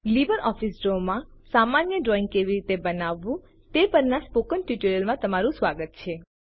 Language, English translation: Gujarati, Welcome to the Spoken Tutorial on How to Create Simple Drawings in LibreOffice Draw